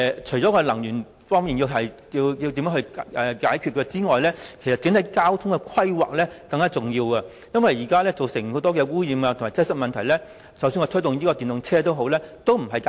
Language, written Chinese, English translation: Cantonese, 除了解決能源方面的問題外，整體的交通規劃更加重要。這是因為現時很多的污染及擠塞問題，即使推出電動車也未能解決。, Apart from the need to deal with the energy side it is more important for us to tackle the overall transport planning as the air pollution and traffic congestion problems cannot be resolved by the use of EVs alone